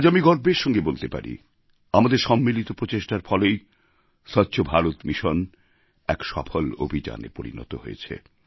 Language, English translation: Bengali, Today, I'm saying it with pride that it was collective efforts that made the 'Swachch Bharat Mission' a successful campaign